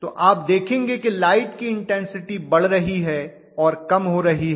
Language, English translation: Hindi, So you will be able to see the light is glowing and coming down in its intensity and so on